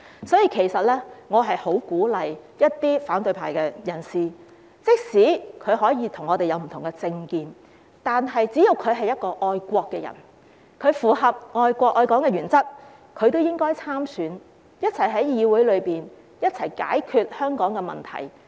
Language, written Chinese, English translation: Cantonese, 所以，我十分鼓勵一些反對派人士參選，即使我們彼此有不同政見，但只要他們是愛國人士，符合愛國愛港的原則，也應該參選，共同在議會內解決香港的問題。, For this reason I very much encourage some opposition figures to run in the election . Even if we have different political views they should as long as they are patriots who love our country and Hong Kong run in the election and work together to solve Hong Kongs problems in this Council